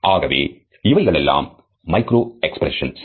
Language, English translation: Tamil, So, what are the micro expressions